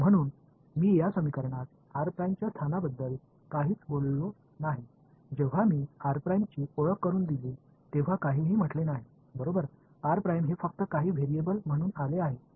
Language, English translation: Marathi, So, have I said anything about the location of r prime I have said absolutely nothing right when I introduce r prime in this equation, I did not say word about where r prime is it just came as some variable right